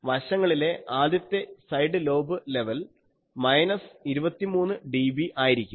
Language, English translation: Malayalam, 8 by a by lambda first side lobe level is minus 23 dB here